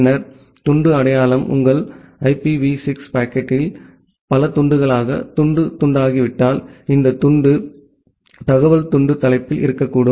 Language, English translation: Tamil, Then the fragment identification; if your IPv6 packet gets fragmented into multiple pieces, then this fragment information can contain in the fragment header